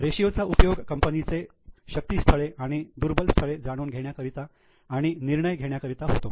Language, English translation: Marathi, Now the ratios are useful for knowing the strengths and weaknesses of the company